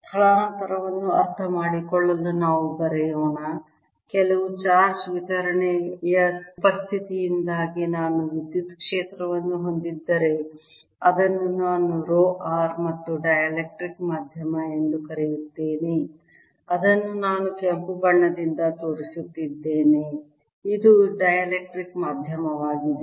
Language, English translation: Kannada, to understand displacement, let us then write that if i have electric field e due to the presence of some charge distribution, which i'll call rho, and a dielectric medium, which i am showing by red, this is the dielectric medium